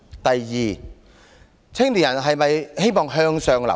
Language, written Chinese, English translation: Cantonese, 第二，青年人是否希望向上流動？, Secondly do young people wish to move upward?